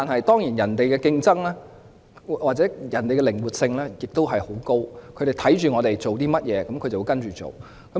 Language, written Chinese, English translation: Cantonese, 當然，人家的競爭力或靈活性亦很高，他們看到我們做甚麼工作，便會跟隨。, Surely Singapore being very competitive and flexible may follow our steps when it sees the work we have done